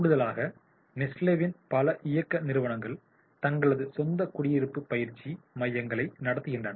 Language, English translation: Tamil, In addition, a number of Nestle's operating companies run their own residential training centers